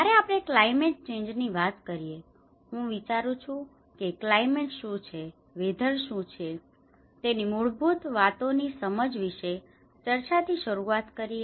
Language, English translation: Gujarati, When we say about climate change, I think let us start our discussion with the basic understanding on of what is climate, what is weather